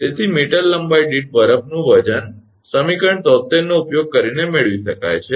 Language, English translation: Gujarati, So, weight of the ice per meter length can be obtained using equation 73